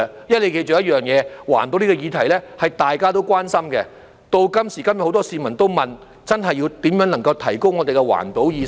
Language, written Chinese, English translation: Cantonese, 要記着一點，環保這個議題是大家都關心的，時至今日，很多市民都提出要研究如何提高我們的環保意識。, We should bear in mind that environmental protection is of common concern to all of us and today many members of the public have proposed to examine ways to raise our awareness of environmental protection